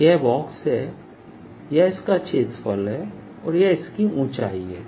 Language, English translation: Hindi, this is the box, this is the area and this is the height